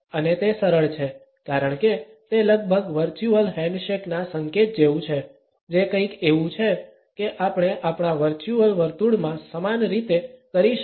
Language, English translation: Gujarati, And it is simply, because it is almost like a signal of the virtual handshake which is something that, we cannot do in a same way in our virtual round